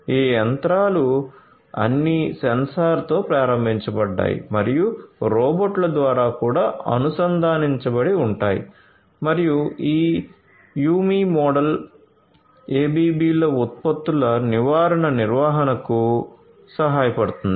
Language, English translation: Telugu, So, these machines are all sensor enabled and also are connected through robots etcetera and this YuMi model can help in the preventive maintenance of the ABBs products